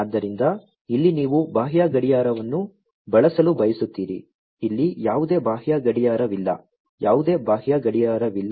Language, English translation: Kannada, So, here you want to use the external clock, here there is no external clock, without any external clock